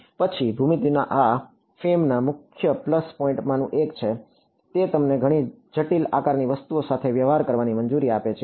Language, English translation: Gujarati, Then geometry this is one of the major plus point of FEM, it allows you to deal with many complex shaped objects